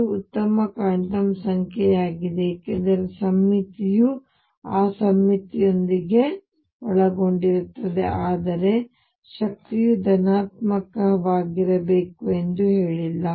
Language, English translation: Kannada, It is also a good quantum number because there is a symmetry it is involved with that symmetry, but it did not say that energy has to be positive